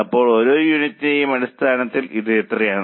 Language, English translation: Malayalam, So, how much it is on a per unit basis